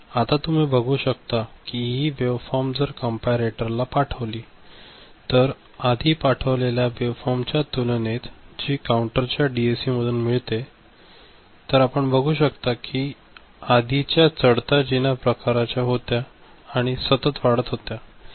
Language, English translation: Marathi, Now you see this wave form if we send it to a comparator, compared to the kind of waveform we had sent earlier you know, from the DAC through the counter so, those were staircase kind of wave form right and this is a continuously increasing kind of thing